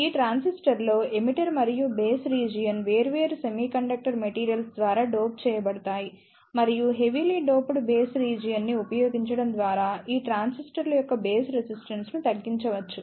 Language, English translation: Telugu, In this transistor, the emitter and base region are doped by different semiconductor materials and by using heavily doped base region, the base resistance of these transistors can be reduced